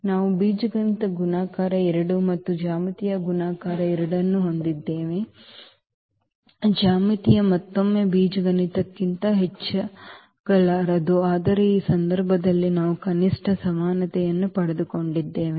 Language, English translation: Kannada, So, we have the algebraic multiplicity 2 and as well as the geometric multiplicity 2; geometric cannot be more than the algebraic one again, but in this case we got at least the equality